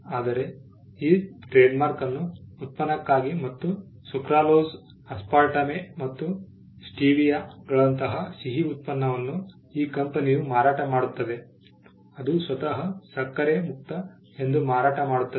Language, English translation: Kannada, But this trademark is used for sweetness, and sweetness like sucralose, aspartame and stevia are all sold by this company which markets itself as sugar free